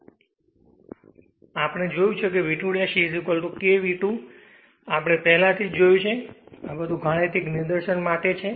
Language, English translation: Gujarati, Earlier we have seen is V 2 dash is equal to k V 2 we have already show seen it, but these are all for mathematical derivation right